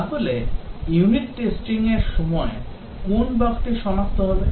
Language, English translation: Bengali, So, what is a bug that will be detected during unit testing